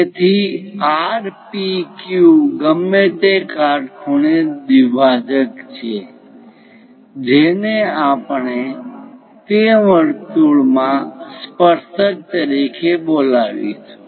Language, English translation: Gujarati, So, R, P, Q whatever the perpendicular bisector, that we will call as tangent to that circle